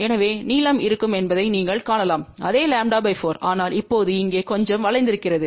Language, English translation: Tamil, So, you can see that the length will be same lambda by 4, but it is now little bent over here